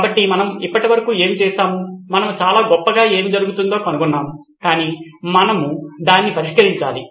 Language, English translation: Telugu, So this was what we did so far, so great we found out what’s going on, but we need to solve it